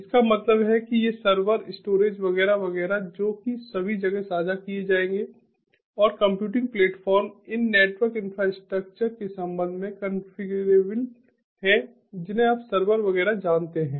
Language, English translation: Hindi, shared pool, that means that these servers, storage, etcetera, etcetera, which will be shared all across and the config computing platform is configurable with respect to, ah, ah, these network infrastructure, ah, you know servers, etcetera